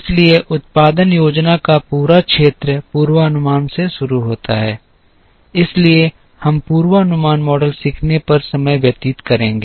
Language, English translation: Hindi, So, the whole area of production planning begins with the forecast, so we will spend time on learning forecasting models